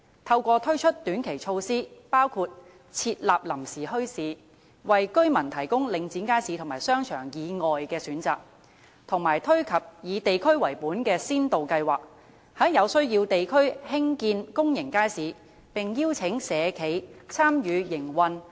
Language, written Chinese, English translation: Cantonese, 透過推出短期措施，包括設立臨時墟市，為居民提供領展街市和商場以外的選擇，以及推出以地區為本的先導計劃，在有需要地區興建公眾街市，並邀請社企參與營運。, Through the introduction of short - term measures including setting up temporary bazaars residents will be provided with choices other than those markets and shopping arcades of Link REIT . Also it should introduce district - based pilot schemes for building public markets in districts in need and engage social enterprises in the operation